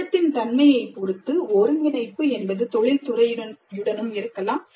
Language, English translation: Tamil, Depending upon the nature of the project, collaboration could also be with the industry